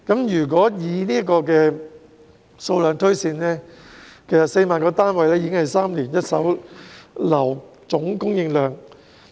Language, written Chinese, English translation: Cantonese, 如果以這個數量推算 ，4 萬個單位已是一手樓宇3年的總供應量。, Based on this figure 40 000 flats is equivalent to the total supply of first - hand residential properties in three years